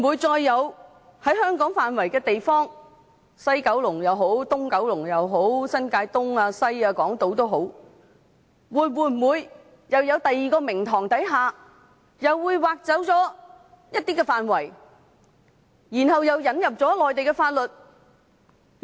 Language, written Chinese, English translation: Cantonese, 在香港的範圍，不論是西九龍、東九龍、新界東、新界西或港島，會否在別的名目下，又再被挖走一些範圍，然後又引入內地法律？, Within the Hong Kong territory no matter West Kowloon East Kowloon New Territories East New Territories West or the Hong Kong Island will another area be taken away under a different excuse so that Mainland laws can also be applicable in it?